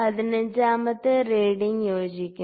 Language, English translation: Malayalam, So, 15th reading is coinciding